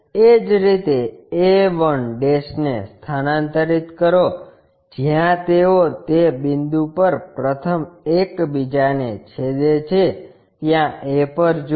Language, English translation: Gujarati, Similarly, a 1' transfer it, where they are intersecting first look at that point a